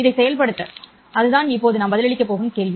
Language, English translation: Tamil, That would be the question that we are going to answer now